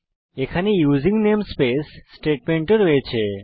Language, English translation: Bengali, We have the using namespace statement also